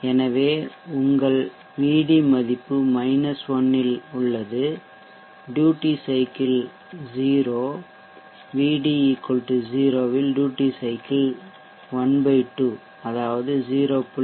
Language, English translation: Tamil, So your VD value is at 1 then duty cycle is 0 at VD here in between 0 and the duty cycle is ½ which is 0